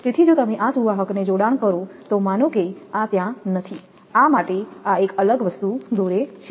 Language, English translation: Gujarati, So, if you joint this conductor, suppose this is not there this is for this one I draw a separate thing